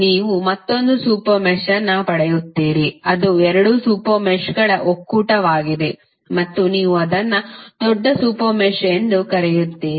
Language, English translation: Kannada, You will get an another super mesh which is the union of both of the super meshes and you will call it as larger super mesh